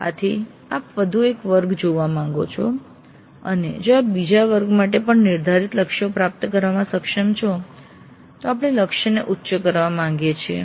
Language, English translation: Gujarati, So we would like to see for one more batch and if you are able to attain the set targets even for the second batch then we would like to enhance the target